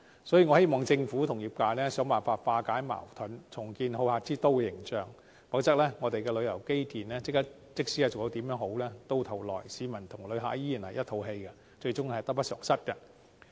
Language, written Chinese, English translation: Cantonese, 所以，我希望政府與業界想辦法化解矛盾，重建好客之都的形象；否則，即使我們的旅遊基建做得再好，到頭來市民及旅客仍然一肚子氣，最終只會得不償失。, Hence I hope that the Government and the industry will find ways to resolve the conflicts and rebuild the hospitable image of Hong Kong; otherwise even if we have outstanding tourism infrastructure local residents and visitors are still unhappy and the loss outweighs the gain